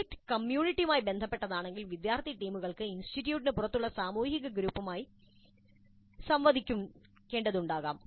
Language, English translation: Malayalam, If the project is related to the community, the student teams may be interacting with social groups outside the institute as well